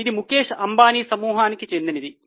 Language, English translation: Telugu, It belongs to Mukeshambani Group